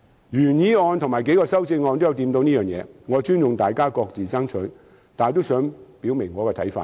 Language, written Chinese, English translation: Cantonese, 原議案和數項修正案也有觸及此事，我尊重大家各自爭取，但也想表明自己的看法。, The original motion and several amendments have touched on this . I respect Members efforts to strive for the implementation of their respective proposals . But I also wish to state my views clearly